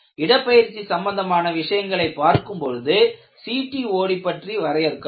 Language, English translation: Tamil, When we take up the issues related to displacement and so on, we will look at how CTOD is defined